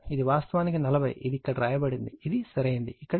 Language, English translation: Telugu, This is actually 40 it is written here correct this is 40 here right